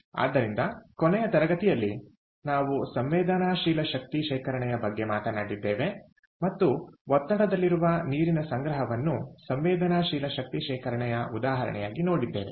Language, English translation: Kannada, so in the last class ah, we talked about sensible energy storage and looked at pressurized water storage as an example of sensible energy storage